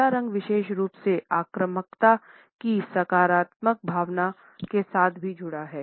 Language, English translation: Hindi, Black particularly is also associated with a positive sense of aggression in the sense of being assertive